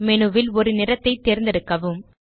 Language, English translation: Tamil, Choose a colour from the menu